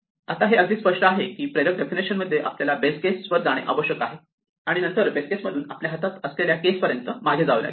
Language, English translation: Marathi, Now it is very clear that in an inductive definition, we need to get to the base case and then work ourselves backwards up from the base case, to the case we have at hand